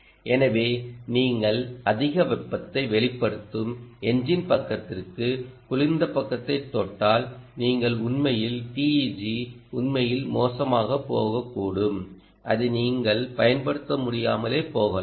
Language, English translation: Tamil, so if you touch the cold side on to the engine side which is emanating lot of heat, then you may actually the teg may actually go bad and may not be able to, you may not be use it